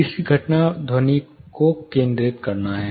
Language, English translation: Hindi, The third phenomenon is focusing of sound